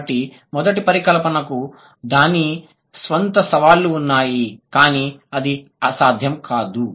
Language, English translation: Telugu, So, the first hypothesis has its own challenges, but it's not impossible